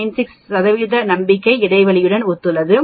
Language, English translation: Tamil, 96 corresponds to 95 percent confidence interval